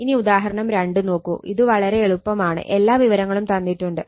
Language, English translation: Malayalam, Now, you see that example 2, it is very simple data everything is given